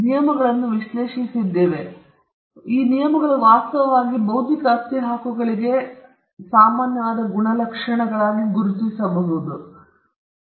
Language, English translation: Kannada, Now, we have analyzed these terms, and these terms have actually thrown up certain traits which we can identify as traits that are common for intellectual property rights